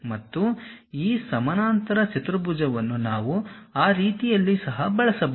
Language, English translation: Kannada, And, this parallelogram we can use in that way also